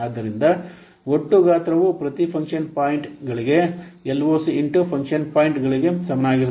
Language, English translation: Kannada, So, the total size will be equal to the function points into LOC per function point